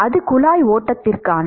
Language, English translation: Tamil, That is for pipe flow